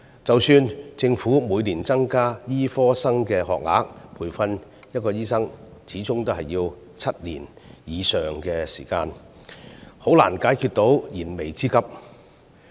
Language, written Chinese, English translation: Cantonese, 即使政府每年增加醫科學額，但培訓一名醫生始終需要7年以上的時間，難以解決燃眉之急。, Even though the Government has been increasing the number of places for medical degree programmes every year this can hardly address the urgent need as it takes more than seven years to train a doctor